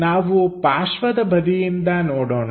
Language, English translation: Kannada, Let us look at from side view